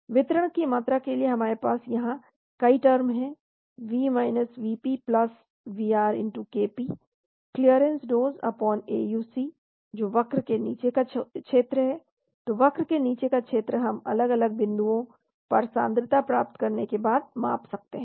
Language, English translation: Hindi, Volume of distribution we have many terms here , V Vp+Vr Kp clearance is dose/AUC that is area under the curve , so area under the curve we can measure once we get the concentration at different time points